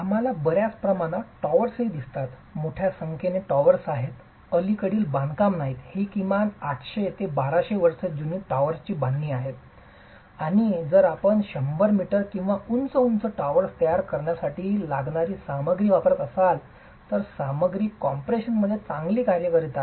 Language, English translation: Marathi, These are constructions that are at least 800 to 200 years old, towers and if you were to use a material to build towers that are 100 meters or taller, the material is working well in compression